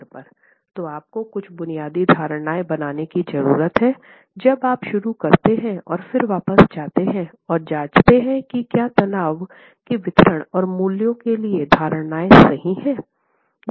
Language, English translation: Hindi, So, you need to make some basic assumptions when you start and then go back and check if for the distribution of stresses and the values of stresses is that assumption right